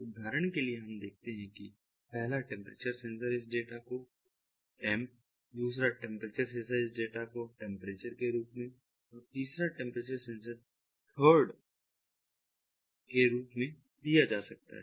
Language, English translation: Hindi, for example, let us see that a temperature sensor, it might be given the data as temp, another temperature sensor as temperature, another temperature sensor, the third one st